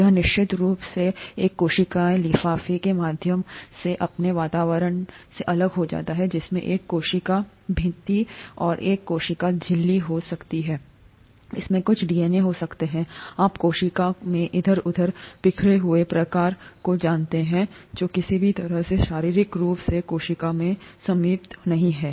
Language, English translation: Hindi, It is of course separated from its environment through a cellular envelope that could have a cell wall and a cell membrane, it could have some DNA, you know kind of strewn around here in the cell which is not limited in any way physically in the cell; and this is prokaryote before nucleus